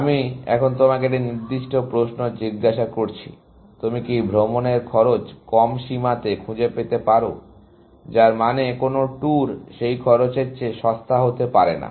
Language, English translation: Bengali, I am asking you a specific question now; can you find a lower bound on the tour cost; which means that no tour can be cheaper than that cost